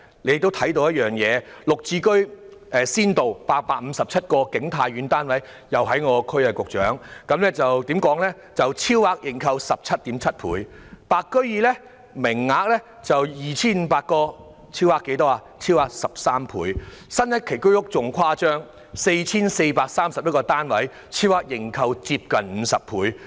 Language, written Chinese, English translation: Cantonese, 綠表置居先導計劃下的景泰苑剛好屬我的選區，該屋苑提供857個單位，超額認購 17.7 倍；"白居二"的名額有 2,500 個，超額認購13倍；新一期居屋更誇張 ，4,431 個單位竟然超額認購近50倍。, King Tai Court a project under the GSH Pilot Scheme and located in my constituency provides 857 flats and was over - subscribed by 17.7 times; WSM with a quota of 2 500 units was over - subscribed by 13 times; the latest round of HOS offers 4 431 units for sale and the over - subscription rate has even reached almost 50 times